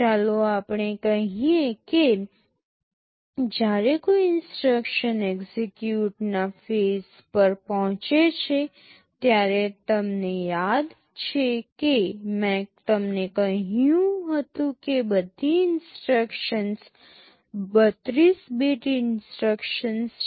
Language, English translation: Gujarati, Let us say when an instruction reaches the execute phase, one thing you remember I told you all instructions are 32 bit instructions